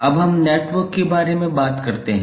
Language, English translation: Hindi, Now let us talk about the network